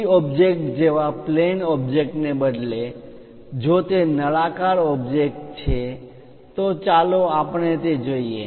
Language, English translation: Gujarati, Instead of a plane object like 2d object, if it is a cylindrical object let us look at it